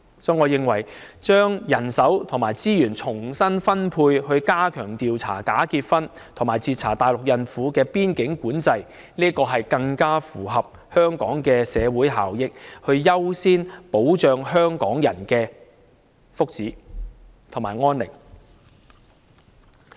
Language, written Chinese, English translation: Cantonese, 所以，我認為把人手和資源重新分配，以加強調查假結婚和截查大陸孕婦的邊境管制，這將更符合香港的社會效益，優先保障香港人的福祉和安寧。, In the light of this I think there should be a reallocation of manpower and resources to step up investigations into bogus marriages and interception of pregnant Mainland women at the boundary control points . This will better meet the interests of Hong Kong society and guarantee that Hong Kong peoples well - being and peace will have the first call